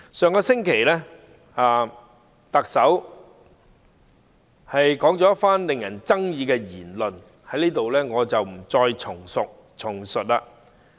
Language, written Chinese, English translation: Cantonese, 上星期，特首說了一番具爭議的言論，我在這裏不再複述。, Last week the Chief Executive made a controversial remark . I am not going to repeat it here